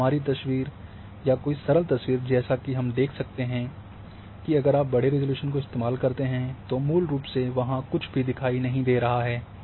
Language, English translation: Hindi, And same with our photograph as well simple photograph as we can see, that if you go for coarse resolution nothing is basically visible there